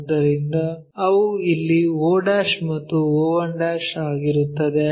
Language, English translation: Kannada, So, those will be o' and o 1' here